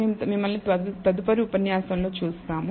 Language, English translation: Telugu, And, we will see you in the next lecture